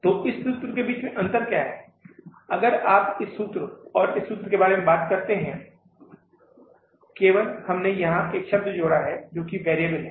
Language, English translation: Hindi, If you talk about this formula and this formula, only we have added the word here that is the variable